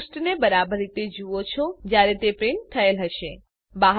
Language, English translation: Gujarati, You can see the page exactly as it would look when it is printed